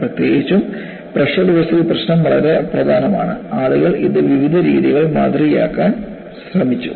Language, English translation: Malayalam, Particularly, the pressure vessel problem is very very important and people have tried to model this in various ways